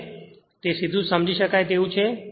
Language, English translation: Gujarati, Directly now it is understandable